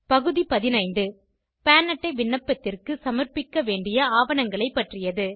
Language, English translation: Tamil, Item 15, is about documents to be submitted for Pan Card application